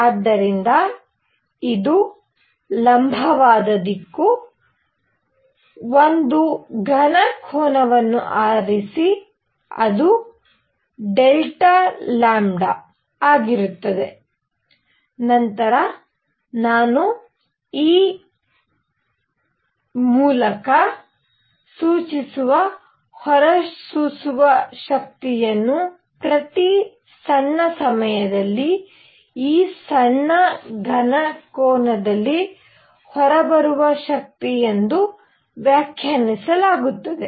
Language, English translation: Kannada, So, this is perpendicular direction, choose a solid angle delta omega, then emissive power which I will denote by e is defined as energy coming out in this small solid angle in per unit time